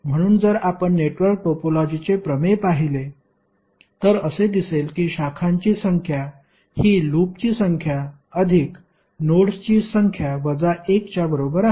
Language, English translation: Marathi, So if you see the theorem of network topology it says that the number of branches are equal to number of loops plus number of nodes minus 1